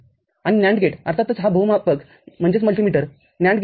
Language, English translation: Marathi, And NAND gate of course, this is a multimeter NAND gate